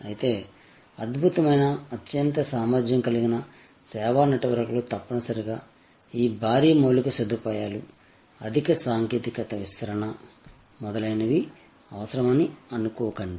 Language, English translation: Telugu, However, do not think that excellent, highly capable service networks necessarily need this huge infrastructure, deployment of high technology and so on